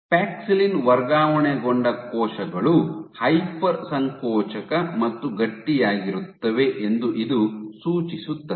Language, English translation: Kannada, So, this suggests that paxillin transfected cells are hyper contractile and stiffer